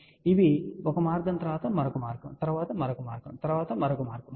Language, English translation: Telugu, So, these are one path, then another path, then another path, then another path